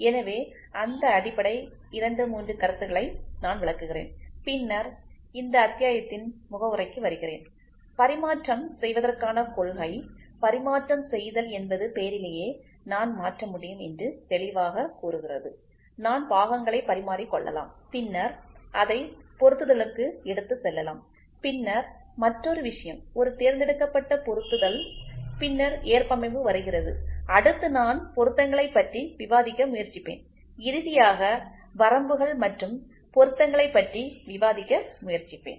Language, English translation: Tamil, So, let me explain those basic 2 3 concepts and then get into introduction for this chapter then principle of interchangeability, interchangeability the name itself clearly says I can change, I can interchange parts and then take it to an assembly, then other thing is called a selective assembly then comes tolerance then I will try to discuss about fits, then I will also finally, try to discuss about system of limits and fits